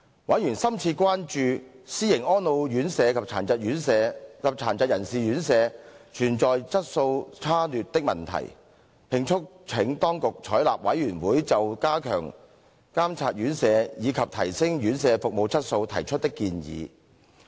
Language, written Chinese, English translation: Cantonese, 委員深切關注私營安老院舍及殘疾人士院舍存在質素差劣的問題，並促請當局採納事務委員會就加強監察院舍，以及提升院舍服務質素提出的建議。, Members were gravely concerned about the problem of poor quality of private residential care homes for the elderly and persons with disabilities and urged the Government to adopt the suggestions made by the Panel to enhance the monitoring work and service quality of care homes